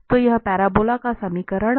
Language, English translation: Hindi, So this is the equation of the parabola